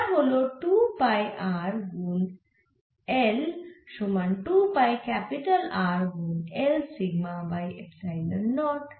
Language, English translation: Bengali, so which is two pi small r in to l equal to two pi capital r into l sigma over epsilon naught